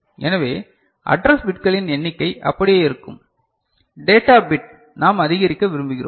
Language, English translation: Tamil, So, the number of address bits remain same, data bit we want to increase